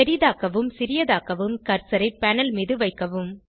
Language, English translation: Tamil, To zoom in and zoom out, place the cursor on the panel